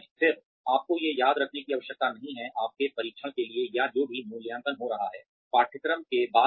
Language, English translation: Hindi, Again, you are not required to memorize these, for your test or whatever evaluation will be happening, later on, in the course